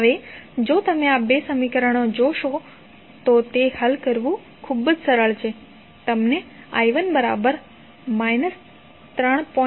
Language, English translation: Gujarati, Now, if you see these two equations it is very easy to solve you get the value of i 1 as minus 3